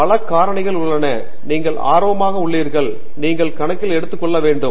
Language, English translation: Tamil, So, there is multiple factors that influence what you may get interested in and you should take all of those into account